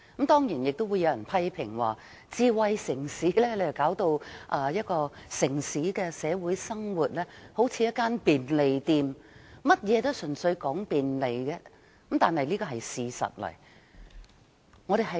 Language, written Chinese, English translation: Cantonese, 當然，有人亦會批評智慧城市令一個城市的社會生活變得像一間便利店，甚麼也純粹講求便利，這是事實。, Of course some people criticize the idea for turning the social life into a convenience store . It is a fact that convenience is everything